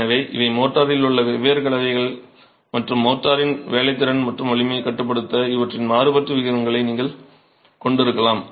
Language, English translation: Tamil, So these are the different compositions in the motor and you can have varying proportions of these to regulate workability and strength of the motor